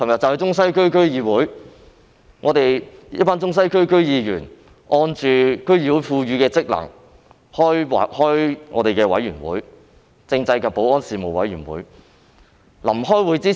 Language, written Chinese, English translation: Cantonese, 昨天，一群中西區區議員按照區議會賦予的職能召開政制及保安事務委員會會議。, Yesterday a group of members from Central and Western DC exercised the functions conferred by DC and called for a meeting of the Constitutional and Security Affairs Committee